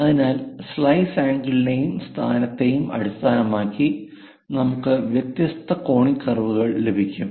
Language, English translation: Malayalam, So, based on the slice angle and location, we get different conic curves; that is a reason we call, from the cone